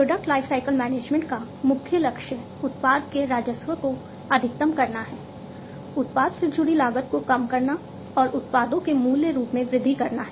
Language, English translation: Hindi, So, the main goal of product lifecycle management is to maximize the product revenues, to decrease the product associated costs, and to increase the products value